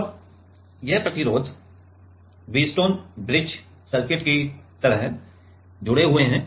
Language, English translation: Hindi, Now, these resistors are connected like a Wheatstone bridge circuit